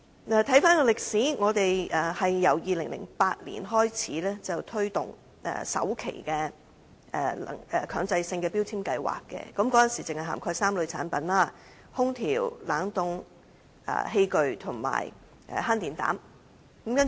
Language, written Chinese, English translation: Cantonese, 回顧歷史，本港在2008年推行首階段的強制性能源效益標籤計劃，當時只涵蓋3類產品，即空調、冷凍器具及慳電膽。, Back then when the first phase of MEELS was introduced in 2008 only three types of products were included namely air conditioners refrigerating appliances compact fluorescent lamps